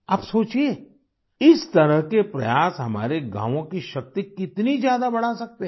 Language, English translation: Hindi, You must give it a thought as to how such efforts can increase the power of our villages